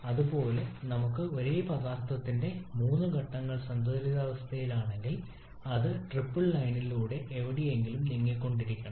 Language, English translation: Malayalam, Similarly if we have a three phases of the same substance in equilibrium then that must be moving somewhere along the triple line